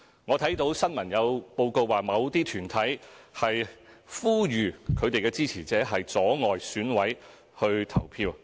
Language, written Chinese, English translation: Cantonese, 我看到新聞報告指有團體呼籲支持者阻礙選委前往投票。, I have read press reports about certain organizations urging their supporters to obstruct EC members from going to the polling station